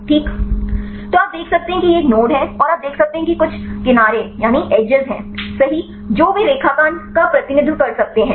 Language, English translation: Hindi, So, you can see here this is a node, and you can see there are some edges right they can graphically represent